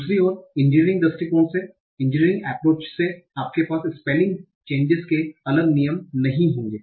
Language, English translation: Hindi, On the other hand, the engineering approach is you won't have the separate rules for sparing changes